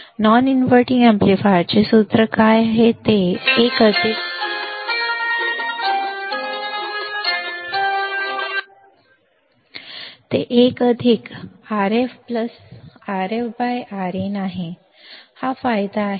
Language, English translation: Marathi, Now, what is the formula for non inverting amplifier is 1 plus Rf by Rin, this is the gain